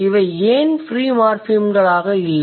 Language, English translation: Tamil, Why they will not be free morphemes